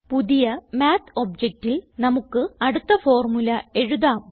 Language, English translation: Malayalam, Let us write our next formula in a new Math object here